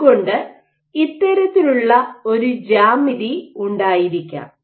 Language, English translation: Malayalam, So, you might this kind of a geometry which is